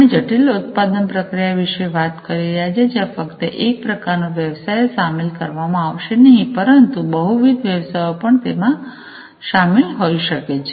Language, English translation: Gujarati, We are talking about the complex production process, where not just one kind of business will be involved, but multiple businesses might be involved as well